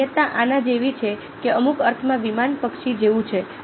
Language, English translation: Gujarati, analogy is like this is like that in some sense a plane is like an bird